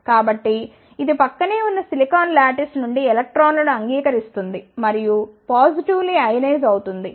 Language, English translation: Telugu, So, that it accept the electrons from the adjacent silicon lattice and becomes positively ionized